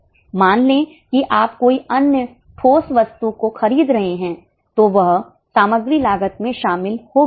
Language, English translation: Hindi, Suppose you are purchasing any other tangible item that will be included in the material cost